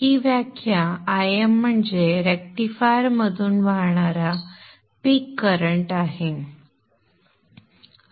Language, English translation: Marathi, This definition IM is the peak current that is flowing out of the rectifier as shown here